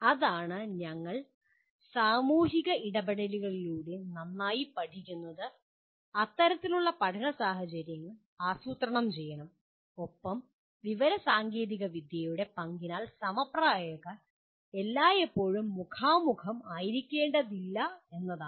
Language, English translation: Malayalam, That is you learn better through social interactions and one should actually plan the learning situations like that and the role of information technology is that the peers need not be always face to face